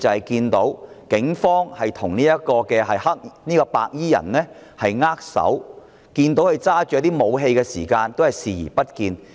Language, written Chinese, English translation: Cantonese, 警方甚至與白衣人握手，即使看到白衣人手握武器，他們亦視而不見。, Some officers even shook hands with the white - clad people and they even turned a blind eye to the weapons carried by the white - clad people